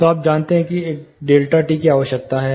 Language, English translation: Hindi, So, you know what is a delta t required